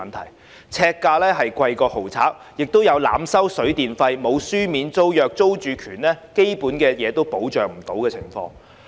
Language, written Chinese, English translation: Cantonese, "劏房"呎價較豪宅更高，亦有濫收水電費、沒有書面租約及租住權基本未受保障的情況。, The per - square - foot rent of SDUs is even higher than that of luxury flats and over - charging of water and electricity bills absence of written tenancy agreements and lack of basic security of tenure are common for SDUs